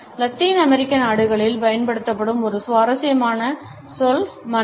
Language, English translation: Tamil, A particularly interesting word which is used in Latin American countries is Manana